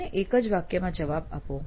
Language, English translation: Gujarati, Now give me a single line answer